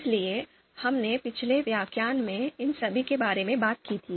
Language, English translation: Hindi, So, all these we talked about in the previous course